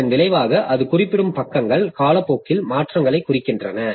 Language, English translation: Tamil, So, as a result, the pages that it is referring to changes over time